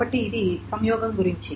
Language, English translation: Telugu, So this is about the conjunction